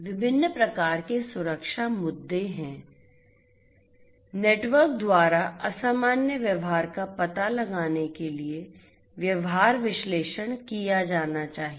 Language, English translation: Hindi, There are different types of security issues; behavioral analytics for detecting abnormal behavior by the network should be done